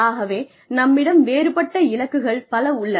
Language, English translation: Tamil, So, we may have different goals